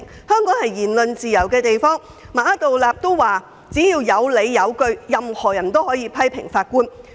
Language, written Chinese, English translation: Cantonese, 香港有言論自由，馬道立首席法官也表示只要有理有據，任何人也可批評法官。, We have freedom of speech in Hong Kong and anyone can criticize judges as long as they are justified to do so according to Hon Chief Justice Geoffrey MA of the Court of Final Appeal